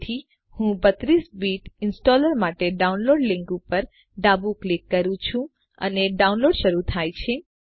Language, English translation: Gujarati, So I left click on the download link for 32 Bit Installer and download starts